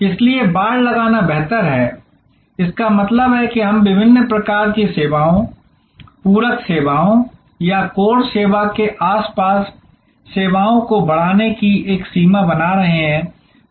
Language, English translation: Hindi, These are therefore, fencing better doing; that means we are creating a boundary of different types of services, supplementary services or enhancing services around the core service